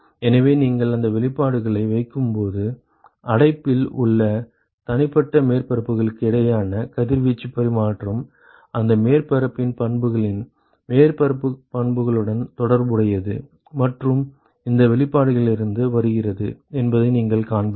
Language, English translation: Tamil, So, when you put in all those expressions you will see that the radiation exchange between individual surfaces in the enclosure can be related to the properties surface properties of that surface and that comes from this expression